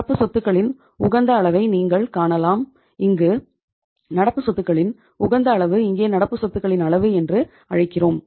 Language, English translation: Tamil, You can find the level of optimum level of the current assets we would call it as and in this case the optimum level of current assets here we will call it as the level of current assets